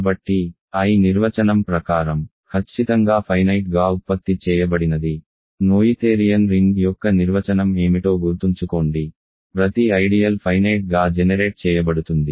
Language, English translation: Telugu, So, I is finitely generated right by definition remember what is the definition of noetherian ring, every ideal is finitely generated